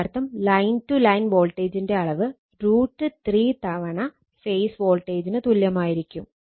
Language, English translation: Malayalam, And line to line voltage is equal to root 3 times the phase voltage right